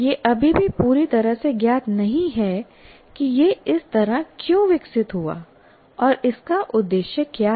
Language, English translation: Hindi, That is how it is why it is still not completely known, why it has evolved like that and what is the purpose of that